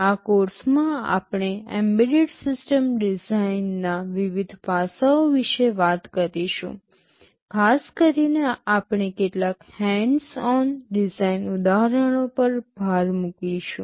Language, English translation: Gujarati, In this course we shall be talking about various aspects of Embedded System Design, in particular we shall be emphasizing on some hands on design examples